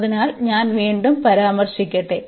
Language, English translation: Malayalam, So, again let me just mention